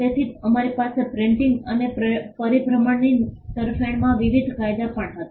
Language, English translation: Gujarati, So, we had also various laws favouring printing and circulation